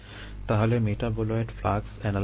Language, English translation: Bengali, so the metabolite flux analysis